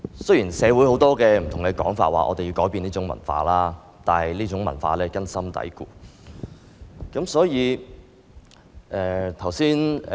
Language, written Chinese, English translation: Cantonese, 雖然社會不同人士指我們應改變這種文化，但這種文化根深蒂固。, Such a culture is deep - rooted even though various members of the community say we should change it